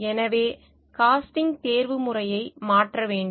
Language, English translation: Tamil, So, there is a need to change the way casting is done